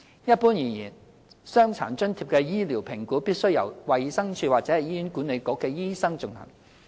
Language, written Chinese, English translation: Cantonese, 一般而言，傷殘津貼的醫療評估必須由衞生署或醫院管理局醫生進行。, In general medical assessment for DA must be conducted by doctors of the Department of Health or the Hospital Authority HA